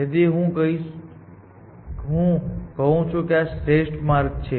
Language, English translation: Gujarati, So, I am saying that this is